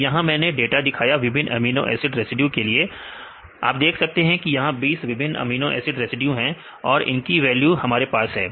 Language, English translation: Hindi, So, here I show the data for the different amino acid residues, you can see this is the different 20 amino acid residues we have the values